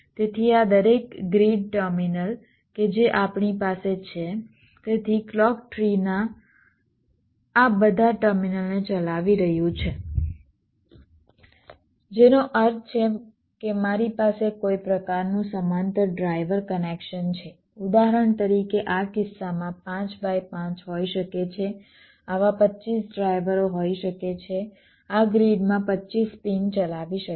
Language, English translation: Gujarati, so each of these grid terminals that we have, so the clock tree is driving these terminals, all of them, which means i have some kind of a parallel driver connection there can be, for example, in this case, five by five, there can be twenty five such drivers driving twenty five pins in this grids